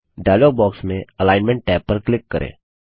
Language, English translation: Hindi, Click on the Alignment tab in the dialog box